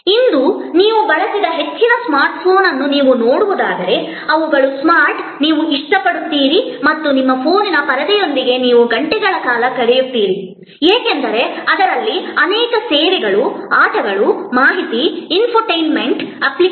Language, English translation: Kannada, And today if you see most smart phone that you used they are smart, you like and you spend hours with the screen of your phone, because of the many services, games, information, infotainment applications